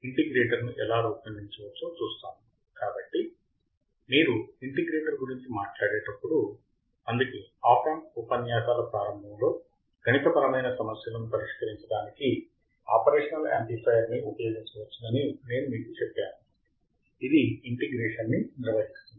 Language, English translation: Telugu, So, when you talk about the integrator, it performs the function of integration that is why in the starting of the op amp lectures, I told you the operational amplifier can be used to solve the mathematical functions